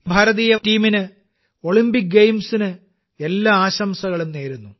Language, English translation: Malayalam, I wish the Indian team the very best for the Olympic Games